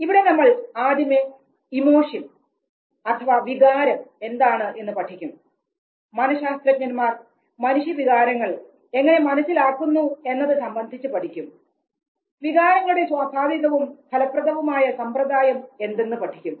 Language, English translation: Malayalam, Where first you try to understand what emotion means, how psychologist they have tried to understand human emotion, the entire effective process per se